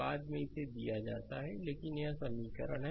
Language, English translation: Hindi, Later it is given but this is one equation